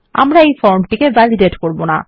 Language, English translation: Bengali, We wont start validating the form